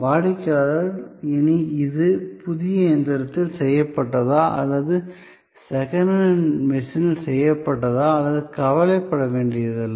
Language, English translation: Tamil, The customer no longer had to bother that whether it was done with in brand new machine or with a second hand machine